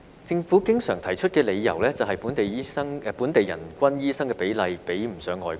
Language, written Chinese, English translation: Cantonese, 政府經常提出的理由是，本地人均醫生比例比不上外國。, The justification often put forward by the Government is that the per capita doctor ratio in Hong Kong lagged behind that in foreign countries